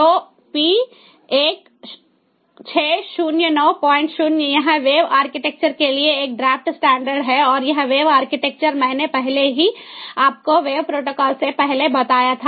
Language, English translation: Hindi, this is a draft standard for wave architecture and this wave architecture i already told you before wave protocol